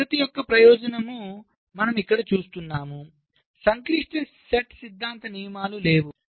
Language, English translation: Telugu, ok, so the advantage of this method is the you see, here there are no complex, set theoretic rules